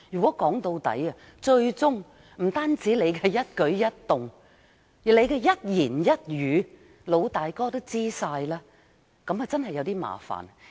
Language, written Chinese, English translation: Cantonese, 說到底，不單是我們的一舉一動，最終連我們的一言一語也會被"老大哥"知悉，這樣就真的有點麻煩。, After all not only every movement of ours but also every word and sentence we utter will eventually come to his knowledge